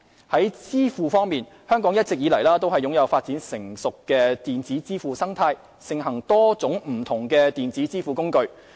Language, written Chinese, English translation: Cantonese, 在支付方面，香港一直以來都擁有發展成熟的電子支付生態，盛行多種不同的電子支付工具。, On the payment system Hong Kong has all along had a sophisticated electronic payment ecology with a wide range of electronic payment tools